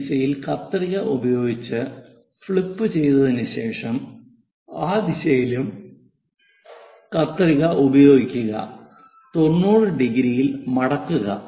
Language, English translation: Malayalam, After flipping making a scissors in this direction making a scissors in that direction folding it in the 90 degrees by 90 degrees